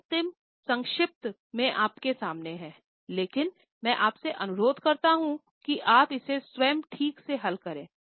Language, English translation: Hindi, Now, this is in front of you in final shot, but I request you to properly solve it yourself